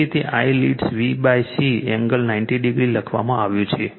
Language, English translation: Gujarati, Therefore it is written I leads VC by an angle 90 degree